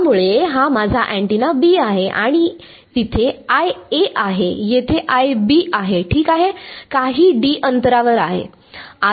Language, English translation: Marathi, So, this is my antenna B and there is I A here, I B over here ok, some distance d apart